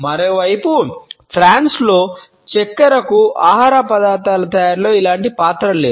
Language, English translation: Telugu, On the other hand in France sugar does not have the similar role in the preparation of food items